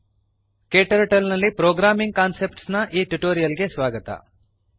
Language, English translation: Kannada, Welcome to this tutorial on Programming concepts in KTurtle